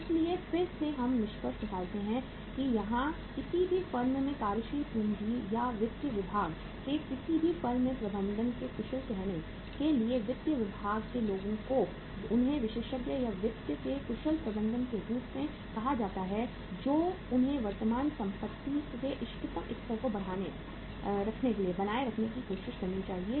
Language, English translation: Hindi, So again we conclude here that in any firm to be the efficient say manager of the working capital or the finance department in any firm the people in the finance department to call them as the experts or the efficient managers of finance they should try to keep the level of current assets at the optimum level where there is no situation like that we do not have the minimum level of current assets